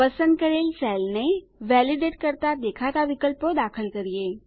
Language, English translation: Gujarati, Lets enter the options which will appear on validating the selected cell